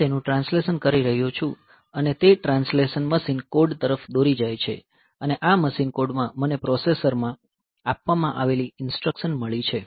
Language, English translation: Gujarati, So, I am translating and that translation leads me to the corresponding machine code, and in this machine code I have got the instructions given in the processor